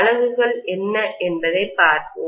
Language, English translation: Tamil, Let us try to take a look at what the units are